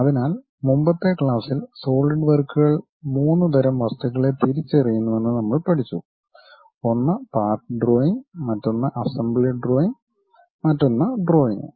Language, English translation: Malayalam, So, in the earlier class, we have learned about Solidworks identifies 3 kind of objects one is part drawing, other one is assembly drawing, other one is drawings